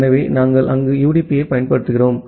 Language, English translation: Tamil, So, we apply UDP there